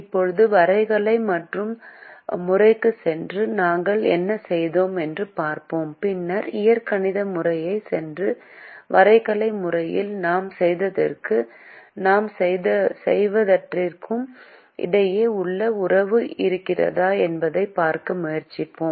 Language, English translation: Tamil, now let us go back to the graphical method and look at what we did, and then we go back to the algebraic method and try to see whether there is a relationship between what we did in the graphical method and what we did in the algebraic method